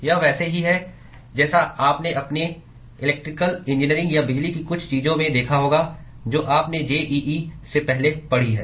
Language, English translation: Hindi, It is similar to what you would have seen in your electrical engineering or some of the electricity things you have studied pre JEE